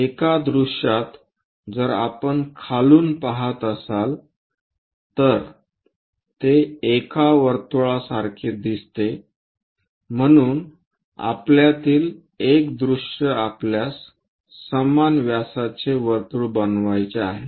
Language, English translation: Marathi, In one of the view, if we are looking at from bottom, it looks like a circle, so one of the view is circle we have to construct of same diameter